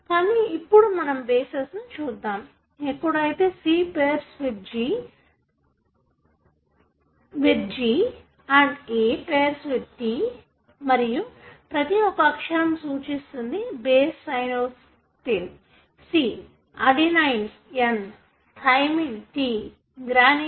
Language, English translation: Telugu, But let us look into the bases, wherein, C pairs with G and A pairs with T and each one of the letter refers to the base cytosine , adenine , thymine , guanine